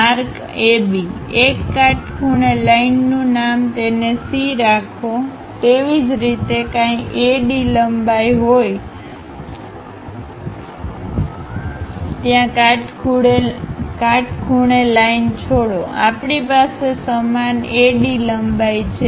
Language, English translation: Gujarati, Mark AB, drop A perpendicular line name it C; similarly, drop a perpendicular line whatever AD length is there, we have the same AD length